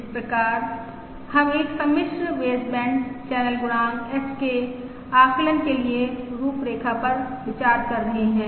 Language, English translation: Hindi, So we are considering the framework for the estimation of a complex baseband channel coefficient H